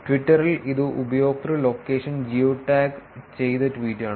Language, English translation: Malayalam, In Twitter, it is the user location geo tagged tweet right